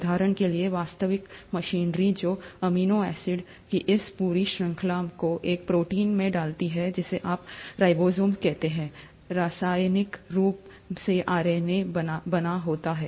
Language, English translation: Hindi, For example, the actual machinery which puts this entire chain of amino acids into a protein which you call as the ribosomes, is chemically made up of RNA